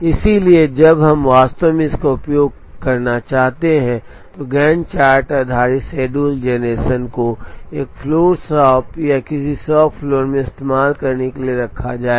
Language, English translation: Hindi, So, when we really want to put this to use, the Gantt chart based schedule generation to be put to use in a floor shop or in a shop floor